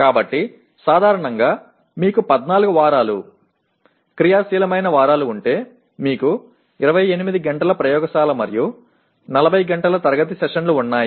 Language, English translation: Telugu, So generally if you have 14 weeks, active weeks that you have, you have 28 hours of laboratory and about 40 hours of classroom sessions